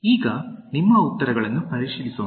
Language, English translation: Kannada, Now, let us check your answers